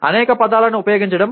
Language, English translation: Telugu, Using several words